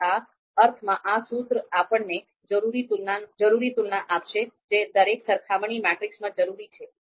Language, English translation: Gujarati, So this will give us the this formula in the sense will give us the necessary comparisons that are required in each comparison matrix